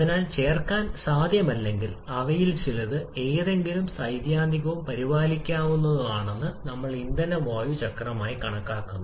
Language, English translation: Malayalam, And therefore, to add if not possible for with all at least some of them can still be taken care of theoretically and for that we consider something as the fuel air cycle